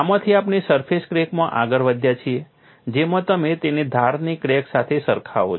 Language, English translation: Gujarati, From this, we have graduated to a surface crack, where in you compare it with an edge crack